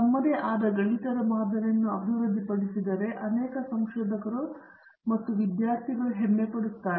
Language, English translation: Kannada, Many researchers and students get pride if they develop their own mathematical model